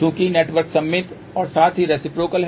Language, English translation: Hindi, Since the network is symmetrical as well as reciprocal